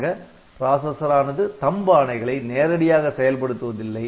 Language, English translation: Tamil, So, the processor does not execute THUMB instruction directly, it executes ARM instruction only